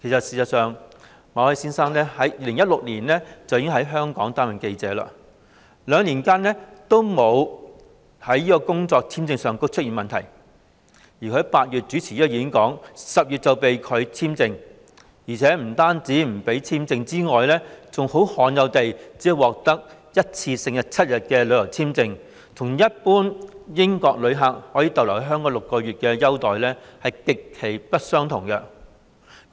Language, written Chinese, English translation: Cantonese, 事實上，馬凱先生自2016年起已在香港擔任記者，兩年以來，其工作簽證續期也不曾出現問題，但他在8月主持該演講 ，10 月便被拒簽證續期，而且除了工作簽證不獲續期外，更罕有地只獲批一次性7天的旅遊簽證，與一般英國旅客可留港6個月的待遇極不相同。, Over the past two years his work visa had been successfully extended but after he hosted the talk in August the extension of his visa was refused in October . Furthermore Mr MALLET was only given a one - off tourist visa for seven days . This practice is rare given that his treatment is very different from that of an ordinary British tourist who is normally allowed to stay in Hong Kong for six months